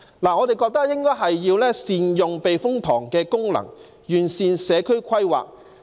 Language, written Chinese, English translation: Cantonese, 我們認為應該善用避風塘的功能，完善社區規劃。, We consider that we should optimize the functions of the typhoon shelter and improve community planning